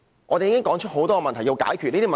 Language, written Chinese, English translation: Cantonese, 我們已指出多個需要解決的問題。, We have already pointed out numerous unresolved problems